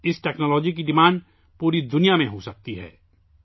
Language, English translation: Urdu, Demand for this technology can be all over the world